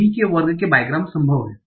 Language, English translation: Hindi, V square bygams are possible